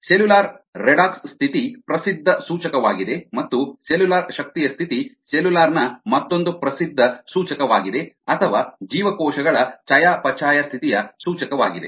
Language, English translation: Kannada, cellular redox status is a well known indicator and cellular energy status is another well known, accepted indicator of the cellular or a metabolic status of the cells